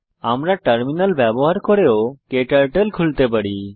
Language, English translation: Bengali, We can also open KTurtle using Terminal